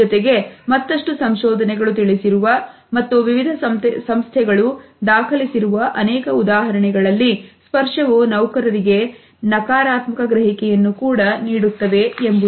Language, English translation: Kannada, At the same time there have been many other instances supported by research and documented by various agencies in which touch has led to a negative impact on the employees